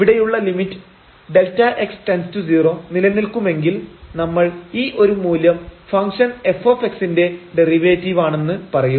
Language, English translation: Malayalam, So, that limit here when we take the limit delta x goes to 0, if this limit exists we call that this value is the derivative of the function f x